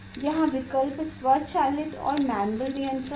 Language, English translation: Hindi, here option is that automatic and manual control